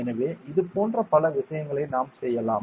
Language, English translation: Tamil, So, we can do a lot of things like this ok